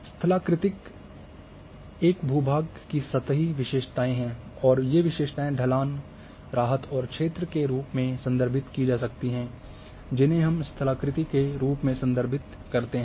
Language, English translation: Hindi, Topography is the surface characteristics of a terrain and these characteristics can be slope, relief, and form of an area which are referred as topography